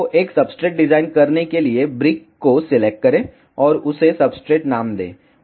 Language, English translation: Hindi, So, to design a substrate, select the brick name it as substrate